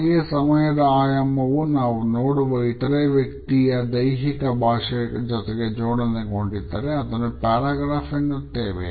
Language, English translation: Kannada, At the same time, if we find that the dimension of time is also associated with our looking at the other person’s body language it becomes like a paragraph